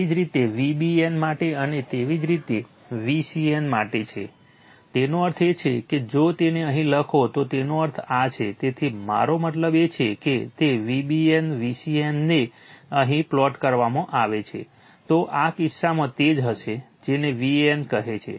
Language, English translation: Gujarati, Similarly for V bn and similarly for V cn, that means, if you plot it here, so mean this is my your what you call V an, V bn, V cn if you plot it here, so in this case it will be your what you call V an right